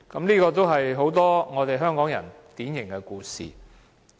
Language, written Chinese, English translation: Cantonese, 這是很多香港人的典型故事。, This is a typical story of the people of Hong Kong